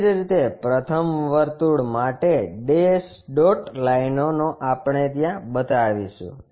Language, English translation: Gujarati, Similarly, first circle dash dot lines we will show it